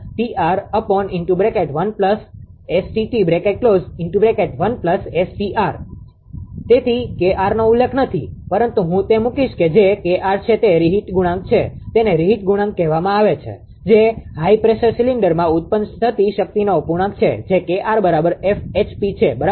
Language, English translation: Gujarati, So, K r that here K r is not mentioned, but I will put it that what is K r right, K r is reheat coefficient right it is called reheat that is the fraction of the power generated in the high pressure cylinder, that is K r is equal to actually a F HP right